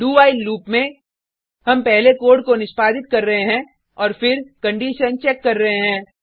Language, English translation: Hindi, In the do...while loop, we are first executing the code and then checking the condition